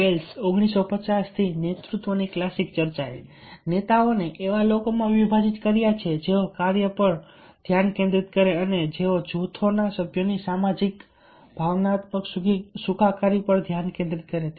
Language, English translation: Gujarati, the classic discussion of leadership since bales nineteen hundred fifty has divided leaders into those who are focus on task and those who focus on the socio emotional well being of the members of the group